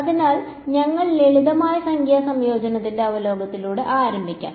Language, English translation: Malayalam, So, we will start with the review of Simple Numerical Integration ok